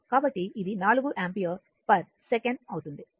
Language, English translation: Telugu, So, it will be 4 ampere per second right